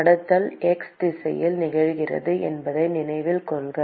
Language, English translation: Tamil, Note that conduction is occurring in the x direction